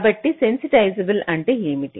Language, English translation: Telugu, so what do we mean by sensitizable